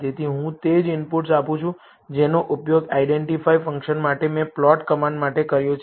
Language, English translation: Gujarati, So, I give the same inputs that I have used for the plot command for identify function